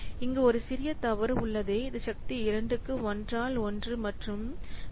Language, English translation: Tamil, So there is a slight mistake here it must be 1 by 1 plus 0